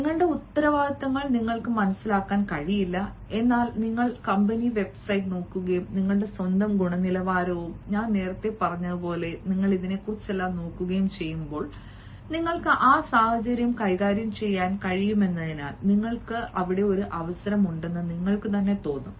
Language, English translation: Malayalam, you cannot understand your responsibilities, but then when you look at the company website and you analyze about yourself, looking at your own quality and all, as i have said earlier, then you will feel that perhaps you have a chance there because you can handle that situation better